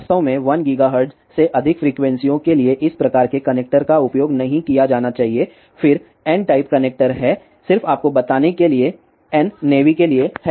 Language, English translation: Hindi, So, one should not really use this type of connector for frequencies greater than 1 gigahertz, then there are N type connector just to tell you N stands for navy ok